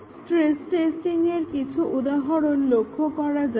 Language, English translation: Bengali, Let us look at some examples of stress testing